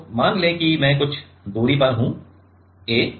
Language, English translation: Hindi, So, let us say I am at a distance a